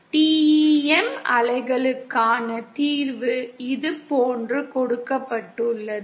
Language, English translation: Tamil, The Solution for the TEM waves are given like this